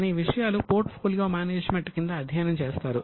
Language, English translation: Telugu, All those things are studied under portfolio management